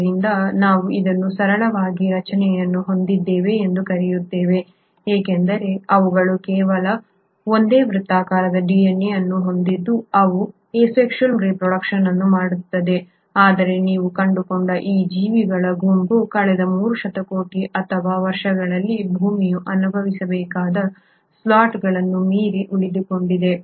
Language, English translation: Kannada, So though we call it to have a very simple structure because they just have a single circular DNA, they do reproduce asexually yet this group of organisms you find have survived beyond slots which the earth must have experienced in last 3 billion or years and has still continue to survive and thrive